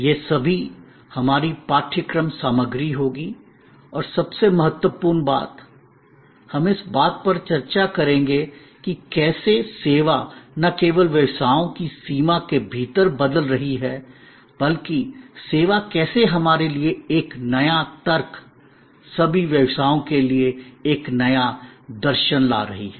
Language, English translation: Hindi, All these will be our course content and most importantly, we will discuss how service is changing not only within the boundary of the service businesses, but how service is bringing to us a new logic, a new philosophy for all businesses